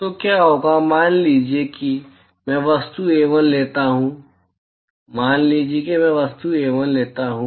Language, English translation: Hindi, Supposing I take object A1, supposing I take object A1